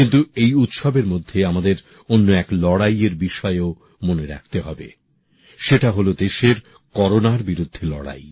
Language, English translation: Bengali, But during this festival we have to remember about one more fight that is the country's fight against Corona